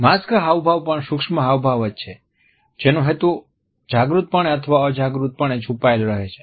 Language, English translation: Gujarati, Masked expressions are also micro expressions that are intended to be hidden either subconsciously or consciously